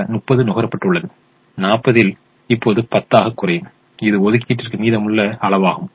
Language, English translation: Tamil, so thirty has been consumed and the forty will now become ten, which is the remaining quantity available for allocation now